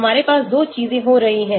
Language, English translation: Hindi, we have 2 things happening